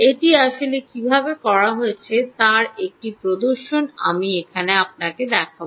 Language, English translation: Bengali, i will show you an demonstration of how it is actually done